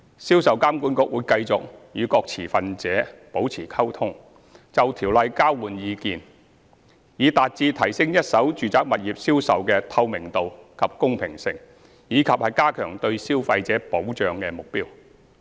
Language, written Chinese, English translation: Cantonese, 銷售監管局會繼續與各持份者保持溝通，並就《條例》交換意見，以達到提升一手住宅物業銷售的透明度及公平性，以及加強對消費者保障的目標。, SRPA will continue to communicate with various stakeholders and to exchange views on the Ordinance in a bid to achieve the targets of enhancing the transparency and fairness in the sales of first - hand residential properties and strengthening consumer protection